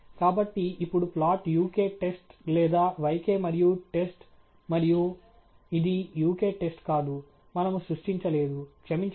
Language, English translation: Telugu, So, now plot uk test or yk and test and; this is not uk test; we have not created, sorry